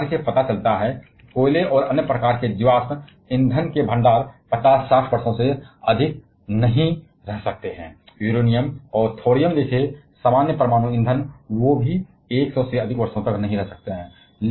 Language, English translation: Hindi, A projection shows that while the reserve of coal and other kind of fossil fuels may not last for more than 50 60 years, common nuclear fuels like Uranium and thorium, they also may not last more than 100 years